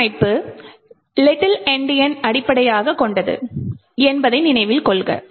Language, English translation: Tamil, Note that the alignment is based on Little Endian